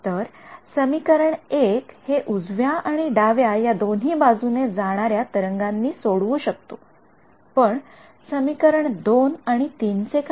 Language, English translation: Marathi, So, equation 1 was satisfied by both the solutions left going and right going wave right what about equations 2 and equations 3